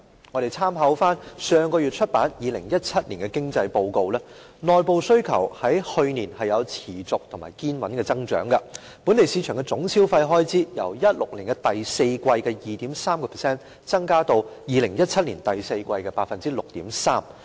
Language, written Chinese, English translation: Cantonese, 我們參考上月出版的2017年經濟報告，內部需求去年有持續和堅穩的增長，本地市場的總消費開支由2016年第四季的 2.3% 增加至2017年第四季的 6.3%。, According to the Hong Kong Economic Reports 2017 published last month internal demand displayed a sustained and steady growth last year . Total consumer spending in the domestic market increased from 2.3 % in the fourth quarter of 2016 to 6.3 % in the fourth quarter of 2017